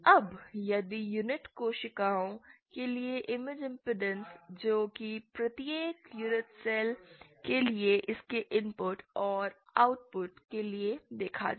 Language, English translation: Hindi, see the way it goes is that the image impedances for the unit cells are what it is to be seen for its input and output for each unit cell